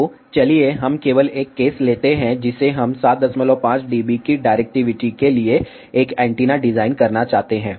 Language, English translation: Hindi, So, let us just take a case, that we would like to design an antenna for the directivity of 7